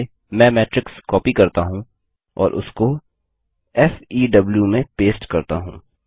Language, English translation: Hindi, Let me copy the matrix and paste it in FEW